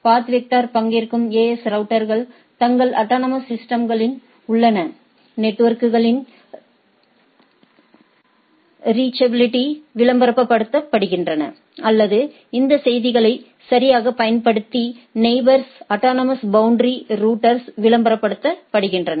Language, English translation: Tamil, AS routers that participant in the path vector advertise the reachability of the networks in their autonomous systems or ASes to the neighbors autonomous auto neighbor autonomous boundary routers using this messages right